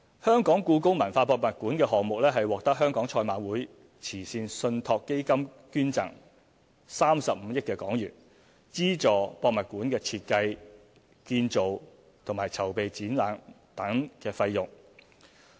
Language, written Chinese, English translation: Cantonese, 第六，故宮館項目獲得香港賽馬會慈善信託基金捐贈35億港元，資助設計、建造和籌備展覽等費用。, Sixth the Hong Kong Jockey Club Charities Trust has agreed to donate HK3.5 billion to fund the cost of the project covering design construction and exhibition development cost